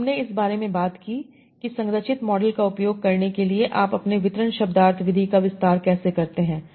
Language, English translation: Hindi, So we talked about how do you extend your distribution semantic method for using structured models